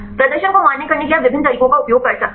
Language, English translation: Hindi, You can use various ways to validate the performance